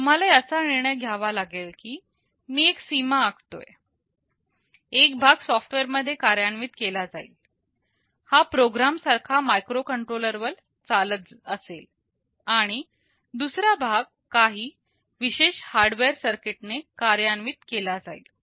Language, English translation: Marathi, You will have to decide that well I make a demarcation, one of the parts will be implemented in software, this will be running as a program on a microcontroller, and the other part will be implemented by some specialized hardware circuit